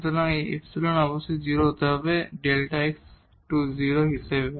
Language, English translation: Bengali, So, this epsilon must be 0 as delta x goes to 0